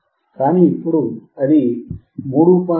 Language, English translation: Telugu, So, still we had 3